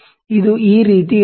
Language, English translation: Kannada, It has to be like this